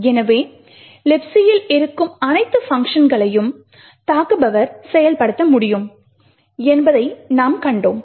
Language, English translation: Tamil, So, we had seen that the attacker could only invoke all the functions that are present in libc